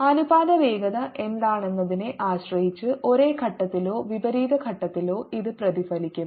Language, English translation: Malayalam, also, depending on what the ratio velocities are, it can get reflected either with the same phase or opposite phase